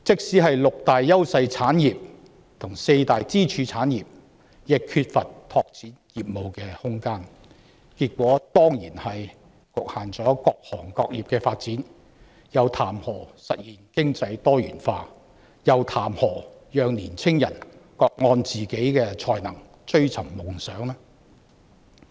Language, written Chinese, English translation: Cantonese, 連六大優勢產業及四大支柱行業也缺乏拓展業務的空間，結果當然是各行各業的發展均遭到局限，又談何實現經濟多元化，又談何讓青年人各按自己的才能追尋夢想呢？, Even the six industries where Hong Kong enjoys clear advantages and the four pillar industries also lack room for business expansion the outcome of which is certainly the development of various industries being impeded not to mention achieving economic diversification and enabling young people to pursue their dreams on the strength of their own talent